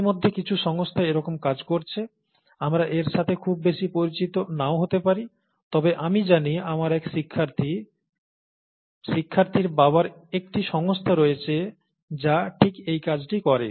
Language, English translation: Bengali, And it so happens that there are companies doing this already, we may not have, we may not be very familiar with it, but I know of one of my students’ fathers having a company which does exactly this, and so on and so forth